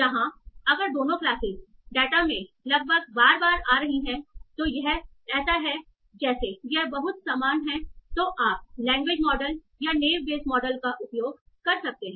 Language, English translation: Hindi, So here if both classes are roughly coming equal number of times in the data, then this is like they are very much similar either use language model or naive age